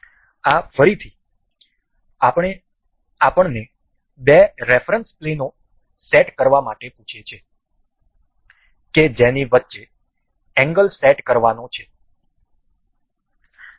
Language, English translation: Gujarati, This again, ask us to ask set the two reference plane between which the angles has to be set